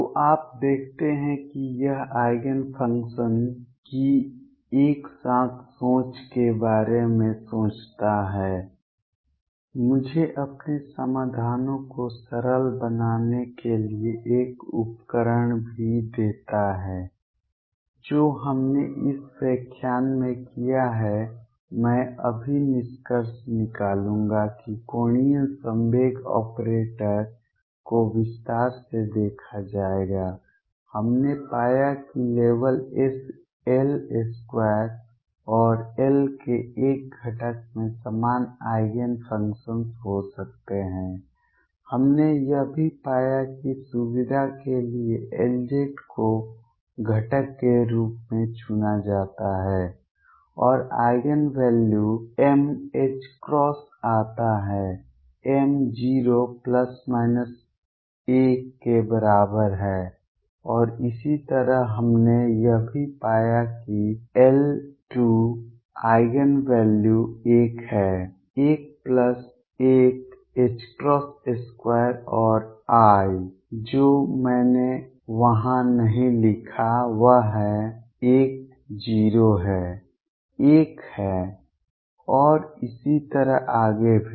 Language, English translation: Hindi, So, you see this having a thought about simultaneity of the Eigen functions also gives me a tool to simplify my solutions what we have done in this lecture, I will just conclude now That will look that angular momentum operator in detail we found that only L square and one component of L can have common Eigenfunctions, we have also found that for convenience L z is chosen to be the component and Eigen values come out to be m h cross m equals 0 plus minus 1 and so on then we also found that L square Eigen values are l, l plus 1 h cross square and I; what I did not write there is l is 0 1 and so on